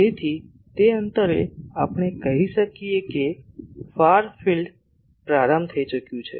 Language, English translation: Gujarati, So, at that distance we can say that the far field has been started